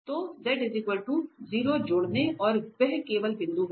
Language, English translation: Hindi, So adding z equal to 0 and that is the only point